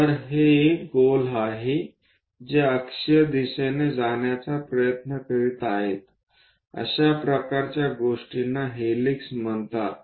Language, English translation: Marathi, So, basically it is a circle which is trying to move in the axial direction; such kind of things are called helix